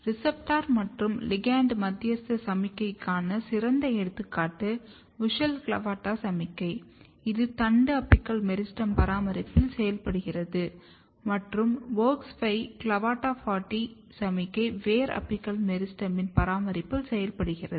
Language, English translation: Tamil, The classical and best studied example for receptor and ligand mediated signaling is WUSCHEL and CLAVATA signaling in the maintenance of the shoot apical meristem, and WOX5 and CLAVATA40 signaling in the root apical meristem